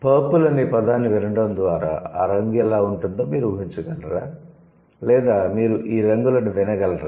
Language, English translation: Telugu, Do you think by hearing the word purple, you can imagine how the color would look like or you can hear the color, not really you can do that